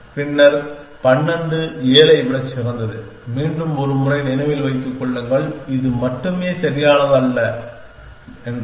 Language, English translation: Tamil, Then, may be the 12 is better than 7, just again a take remember just takes a not perfect this is only